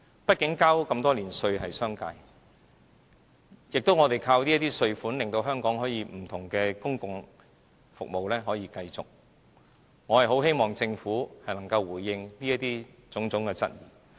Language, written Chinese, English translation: Cantonese, 畢竟商界繳交了這麼多年的稅款，而我們是依靠這些稅款令香港不同的公共服務可以持續運作。我很希望政府能夠回應有關的種種質疑。, All in all the business sector have been paying taxes for years and the tax yield has been crucial for sustaining various public services in Hong Kong so I hope the Government can properly respond to all these queries